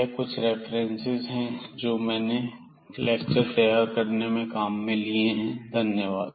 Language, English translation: Hindi, So, these are the references we have used for preparing these lectures